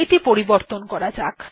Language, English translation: Bengali, Lets change it